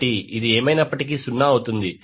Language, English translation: Telugu, So, this will be anyway become zero